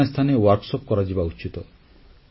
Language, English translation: Odia, Workshops should be held at different places